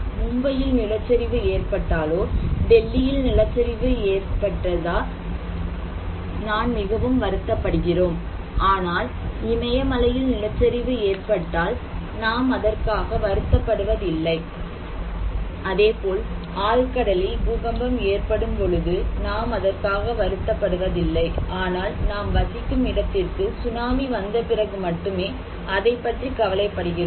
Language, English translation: Tamil, When there is an landslide in Mumbai, landslide in Delhi we are concerned about but when there is an landslide in Himalaya, we are not concerned about this, when there is an earthquake in deep sea, we are not very much concerned unless and until the tsunami is coming on the mainland